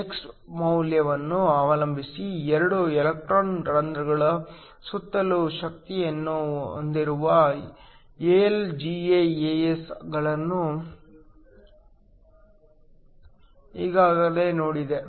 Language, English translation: Kannada, Already saw AlGaAs that has energy around 2 electron holes depending upon the value of x